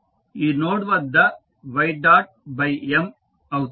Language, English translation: Telugu, So, at this note will be y dot by M